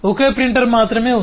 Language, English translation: Telugu, there is only one printer